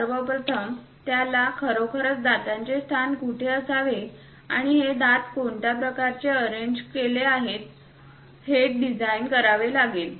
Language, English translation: Marathi, First of all, he has to really design where exactly these teeth location, tooth location supposed to be there and which form it this tooth has to be arranged